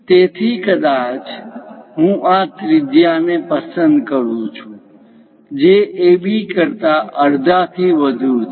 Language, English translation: Gujarati, So, perhaps I pick this much radius, which is more than half of AB